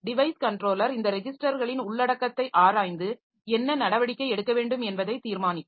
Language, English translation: Tamil, The device controller in turn will examine the content of these registers to determine what action to take